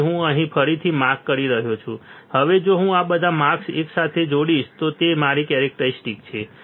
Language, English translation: Gujarati, So, I am marking again here, now if I join this all the marks if I join all the marks like this, I have my characteristics I have my transfer characteristics